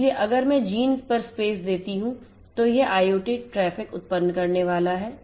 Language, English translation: Hindi, So, if I place on gen then it is going to generate the IoT traffics ok